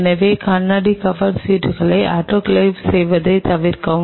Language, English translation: Tamil, So, please avoid autoclaving the glass cover slips